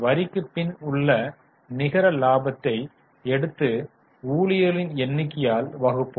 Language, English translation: Tamil, So we will take the data of net sales and let us divide it by number of shares